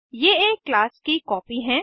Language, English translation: Hindi, They are the copy of a class